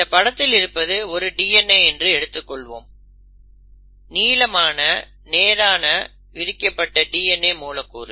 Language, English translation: Tamil, Now, let us assume that this is your long, linear, uncoiled DNA molecule